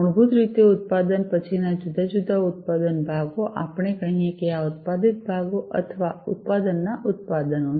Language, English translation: Gujarati, So, basically after production the different manufacture parts, let us say, that these are the manufactured parts or you know manufacture products